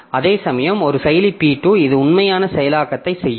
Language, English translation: Tamil, Whereas at processor P2 it will do the actual execution